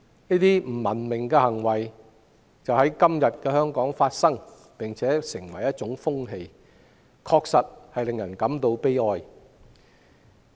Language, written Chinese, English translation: Cantonese, 這些不文明的行為正在香港發生，而且成為一種風氣，確實令人感到悲哀。, These uncivilized acts are taking place in Hong Kong and sadly it has become a trend